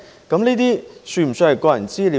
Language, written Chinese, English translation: Cantonese, 這些是否算是個人資料呢？, Should these be regarded as personal data?